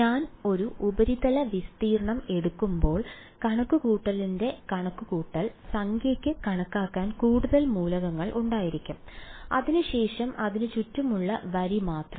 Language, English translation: Malayalam, The computation number of computation as I take a surface area will have more number of elements to calculate then just the line around it